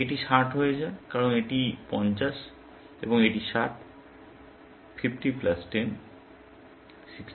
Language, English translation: Bengali, This becomes 60, because this is 50, and this is 60; 50 plus 10; 60